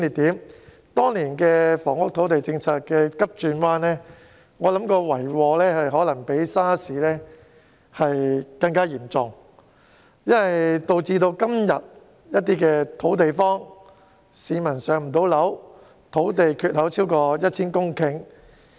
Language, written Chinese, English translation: Cantonese, 我認為當年房屋土地政策急轉彎的遺禍可能較 SARS 還要嚴重，導致今天的土地荒，市民未能"上樓"，土地缺口超過 1,000 公頃。, I think the harm caused by the volte - face of our housing and land policies back then has probably been severer than that caused by SARS . It has resulted in a shortage of land and failure to allocate public housing flats to people nowadays . There is a land shortfall of over 1 000 hectares